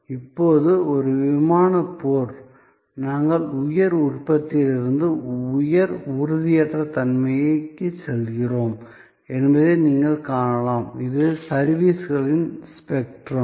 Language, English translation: Tamil, Now, an airline fight as you can see, we are going from high tangibility to high intangibility, this is the spectrum of services